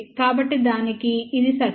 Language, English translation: Telugu, So, this is the circle for that